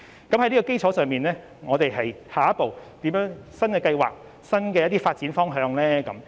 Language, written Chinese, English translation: Cantonese, 在這基礎上，我們下一步有何新的計劃及新的發展方向呢？, Under this premise what new plan and new direction for development do we have as the next step?